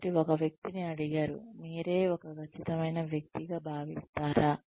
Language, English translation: Telugu, So, a person is asked, do you consider yourself a meticulous person